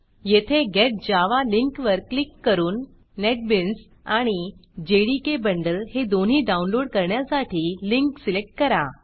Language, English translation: Marathi, Click on the Get Java link here and select the link to download both the Netbeans and JDK Bundle